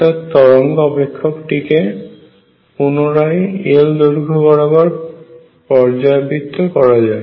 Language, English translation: Bengali, So, the wave function is also normalized over this length L